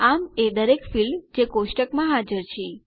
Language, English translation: Gujarati, So each field is present into the table